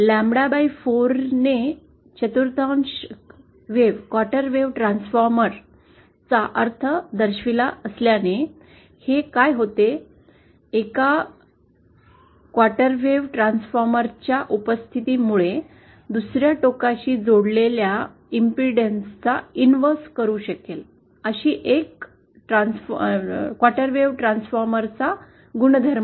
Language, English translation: Marathi, Since lambda by 4 implies a quarter wave Transformer, what this does is, because of the presence of a quarter wave Transformer, the property of a quarter wave Transformer that it can invert the impedance that is connected to the other end